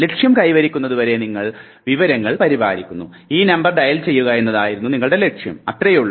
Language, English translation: Malayalam, You are maintaining the information till the goal is achieved the goal is to dial this number, that is it